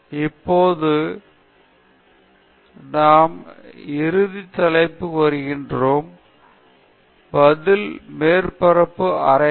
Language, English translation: Tamil, Now, we come into the final topic; Response Surface Methodology